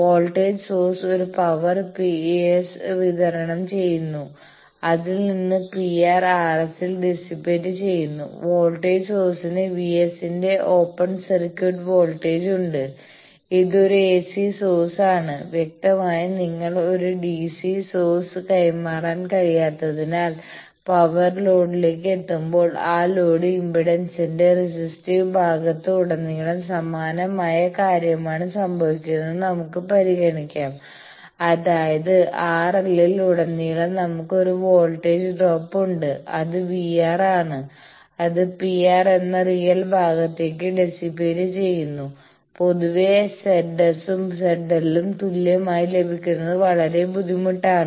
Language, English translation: Malayalam, The voltage source is delivering a power p s out of that p R S is getting dissipated in the r s, voltage source is having an open circuited voltage of v s it is an ac source; obviously, because you cannot transmit any d c source and let us consider that similar thing is happening that, when the power is reaching the load the across the resistive part of that load impedance; that means, across R L we have a voltage drop which is v R L a power that is getting dissipated into that real part that is p R L and in general it is very difficult to have this Z S and Z L equal